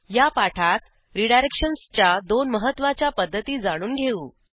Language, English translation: Marathi, We will cover two of the most important methods of redirections in this tutorial